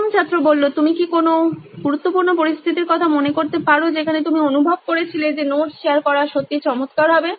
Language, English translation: Bengali, Can you remember of any important situation where you felt sharing of notes would have been really nice